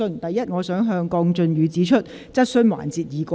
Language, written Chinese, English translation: Cantonese, 首先，我想向鄺俊宇議員指出，質詢環節已過。, First of all I wish to point out to Mr KWONG Chun - yu that the question time has passed